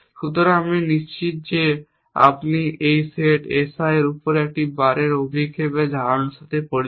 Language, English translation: Bengali, So, I am sure you are familiar with a notion of a projection here of a bar over this set S i